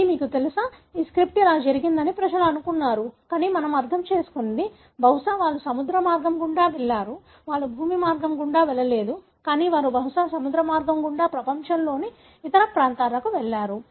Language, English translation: Telugu, This is you know, people thought that this stripe went like this, but what we understand, probably they went through the sea route; they did not go through the land route, but they probably went through the sea route to the other parts of the world